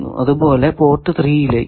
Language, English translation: Malayalam, So, at least 3 ports are required